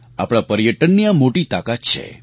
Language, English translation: Gujarati, This is the power of our tourism